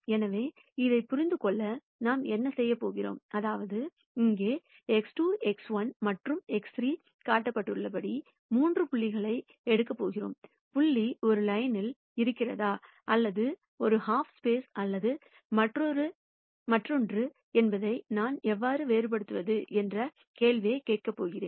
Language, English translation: Tamil, So, to understand this, what we are going to do is, we are going to take three points as shown here X 2 X 1 and X 3 and ask the question as to how do I distinguish whether the point is on a line or to one half space or the other